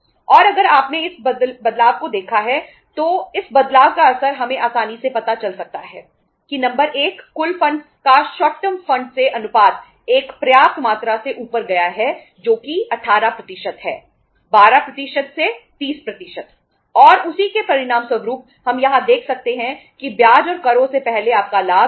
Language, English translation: Hindi, And if you have seen this change then the impact of this change we have we can easily find out is number one is the ratio of the short term funds to the total funds has gone up by say a sufficient amount that is 18% from 12% to 30% and as a result of that we can see here that your profit before interest and taxes say 19000